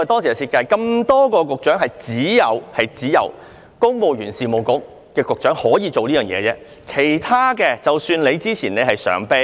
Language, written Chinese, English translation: Cantonese, 在眾多局長當中，只有公務員事務局局長可以這樣做，只有他是例外。, Among all Directors of Bureaux only the Secretary for the Civil Service can return to the civil service . He is the only exception